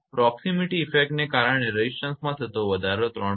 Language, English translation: Gujarati, Increase in resistance due to proximity effect 3